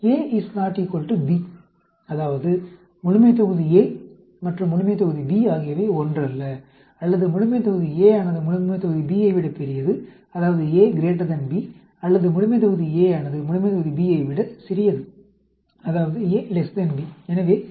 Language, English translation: Tamil, ; A is not equal to B, that means, population A and population B are not the same; or population A is larger than population B, that is, A greater than B; or population A is less than population B, that is A less than B